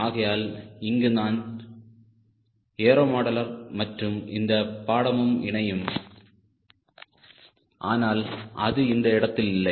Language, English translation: Tamil, so that is where the aero modeler and this course will merge, but not at this stage